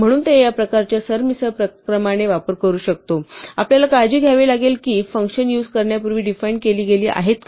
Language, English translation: Marathi, So, it may use this kind of jumbled up order, we have to be careful that functions are defined before they are used